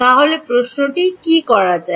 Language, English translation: Bengali, So, what does the question become